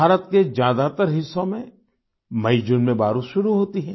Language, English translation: Hindi, In most parts of India, rainfall begins in MayJune